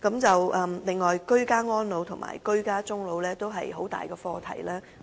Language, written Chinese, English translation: Cantonese, 此外，居家安老及居家終老也是一大課題。, Besides ageing in place and dying in place are also major issues